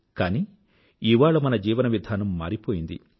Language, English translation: Telugu, But our lifestyle has changed